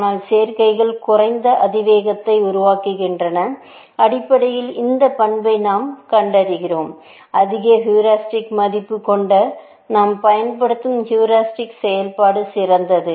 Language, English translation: Tamil, But the combinations make low exponential, essentially, and we have seen this property, that the higher the heuristic value, the heuristic function that we are using, the better for you